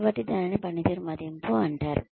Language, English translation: Telugu, So, that is called as performance appraisal